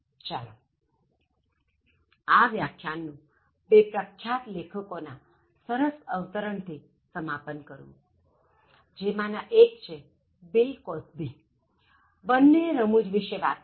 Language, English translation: Gujarati, Let me conclude this lecture, with two interesting quotes from two eminent writers one is Bill Cosby, both are talking about humour